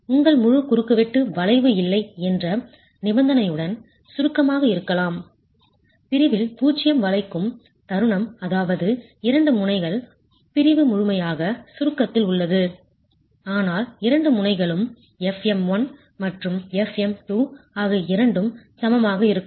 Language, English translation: Tamil, The full cross section can be in compression with the condition that there is no bending at all, zero bending moment on the section which means the two ends, the section is fully in compression but the two ends the stresses FM1 and FM2 are both going to be equal